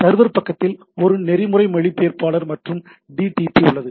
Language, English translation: Tamil, So, what it does at the server end also there is a protocol interpreter and DTP